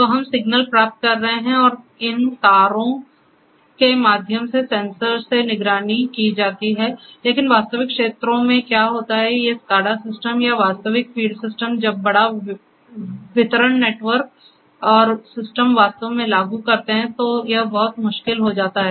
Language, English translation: Hindi, So, we are getting the signals or which are monitored from the sensors through these wires, but what happens in the real fields these SCADA systems or real field systems when we apply it to the let us say larger distribution network and there are system is actually there in place at few places